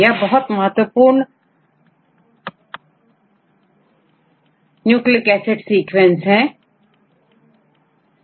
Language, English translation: Hindi, So, it is very important to get the sequences of nucleic acids right